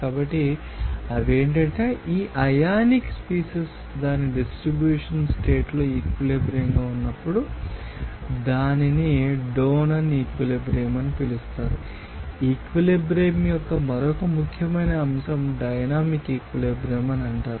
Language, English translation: Telugu, So, they are that when this you know ionic you know species will be equilibrium in condition for its distribution, then it will be called as Donnan equilibrium, another important aspect of equilibrium It is called dynamic equilibrium